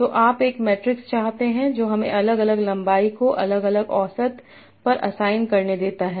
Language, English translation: Hindi, So you want a metric that lets us assign different lengths to different edges